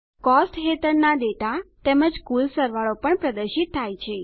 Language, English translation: Gujarati, The data under Costs as well as the grand total is displayed